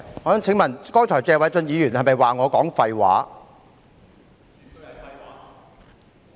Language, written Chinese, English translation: Cantonese, 我想問，謝偉俊議員剛才是否指我說廢話？, I want to ask if Mr Paul TSE has accused me of talking nonsense just now